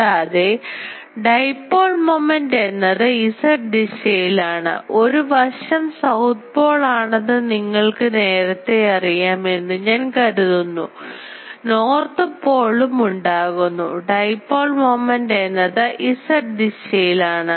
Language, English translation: Malayalam, And dipole moment is Z directed I said this you already know because one side of it will be ah south pole, another side is north pole will be created and the dipole moment will be in the Z direction